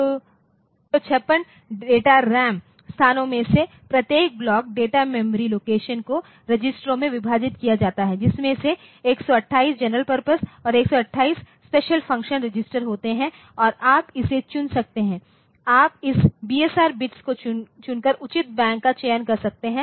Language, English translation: Hindi, So, each block of 256 data RAM locations data memory locations is divided into registers, out of which 128 at the general purpose and 120 at the special function registers and this you can select this you can select the proper Bank by choosing this BSR bits ok